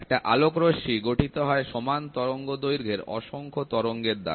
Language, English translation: Bengali, A ray of light is composed of an infinite number of waves of equal wavelength